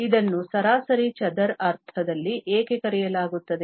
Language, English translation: Kannada, Why it is called in the mean square sense